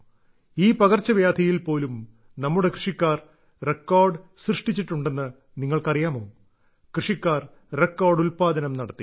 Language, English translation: Malayalam, Do you know that even in this pandemic, our farmers have achieved record produce